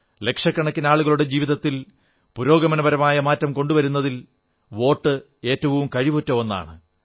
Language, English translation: Malayalam, The vote is the most effective tool in bringing about a positive change in the lives of millions of people